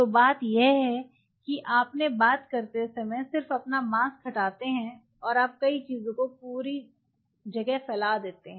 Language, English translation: Hindi, So, I have nothing any as I have talking you just remove your mask and you spread several things all over the place